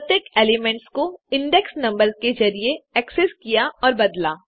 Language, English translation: Hindi, Access and change individual elements by using their index numbers